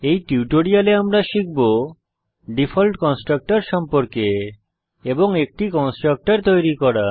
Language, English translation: Bengali, In this tutorial we will learn About the default constructor